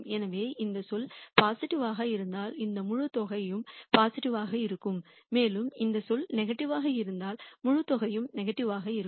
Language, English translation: Tamil, So, if this term is positive this whole sum will be positive and if this term is negative the whole sum will be negative